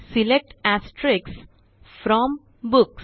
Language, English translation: Marathi, SELECT * FROM Books